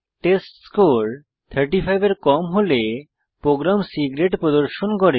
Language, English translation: Bengali, If the testScore is less than 35, then the program displays C Grade